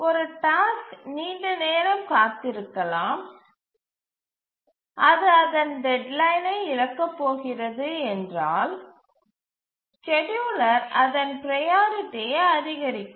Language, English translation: Tamil, So, one task may be waiting for long time and it's about to miss its deadline, then the scheduler will increase its priority so that it will be able to meet its deadline